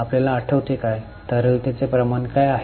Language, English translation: Marathi, Do you remember what is liquidity ratios stand for